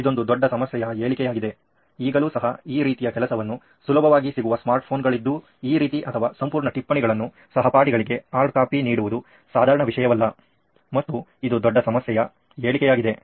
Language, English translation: Kannada, That is a problem statement definitely we feel today that not having easily having that easily accessibility to smart phones to do something like this or actually take down the entire notes and give a hard copy to the classmate is one of the huge problem statement